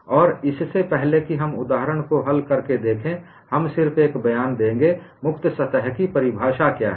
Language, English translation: Hindi, And before we look at from a solving an example, we would just make a statement, what is a definition of free surface